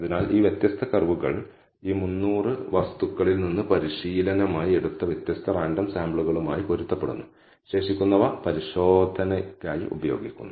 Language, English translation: Malayalam, So, these different curves correspond to different random samples taken from this 300 thing as training and the remaining is used as testing